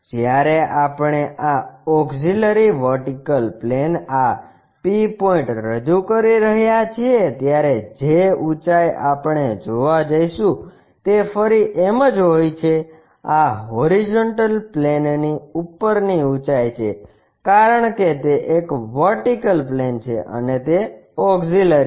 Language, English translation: Gujarati, When we are projecting this P point all the way onto this auxiliary vertical plane again the height what we are going to see is m, this is the height above the horizontal plane because it is a vertical plane and auxiliary one